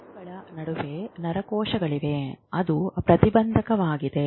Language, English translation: Kannada, Between the neurons, there are certain neurons which are inhibitory